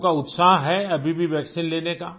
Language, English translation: Hindi, Are people still keen to get vaccinated